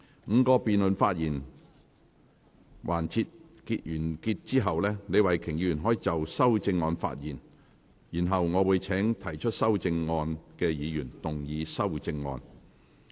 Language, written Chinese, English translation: Cantonese, 五個辯論環節完結後，李慧琼議員可就修正案發言，然後我會請提出修正案的議員動議修正案。, After the five debate sessions have ended Ms Starry LEE may speak on the amendments . I will then call upon movers of the amendments to move amendments